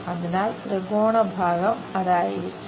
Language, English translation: Malayalam, So, the triangular portion will be that